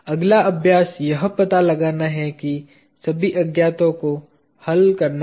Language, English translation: Hindi, The next exercise is to find out what all unknowns do we have to solve ok